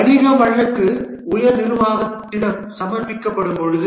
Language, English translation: Tamil, The business case is submitted to the top management